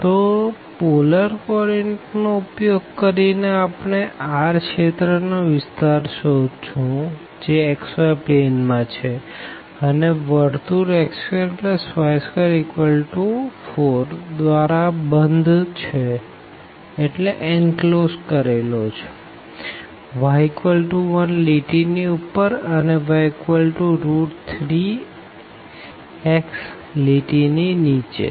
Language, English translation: Gujarati, So, using the polar coordinate will find the area of the region R in the xy plane enclosed by the circle x square plus y square is equal to 4 above the line y is equal to 1 and below the line y is equal to a square root 3 x